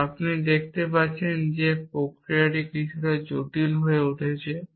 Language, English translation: Bengali, Now, you can see that this process is going to become a little bit complicated